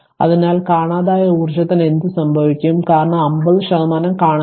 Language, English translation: Malayalam, So, what happens to the missing energy because 50 percent is missing